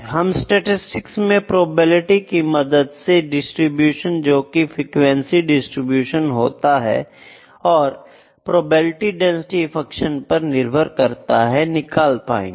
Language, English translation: Hindi, So, what we will deal with in statistics is the probability, the distribution that will have would be the frequency distribution which would be based upon the probability density function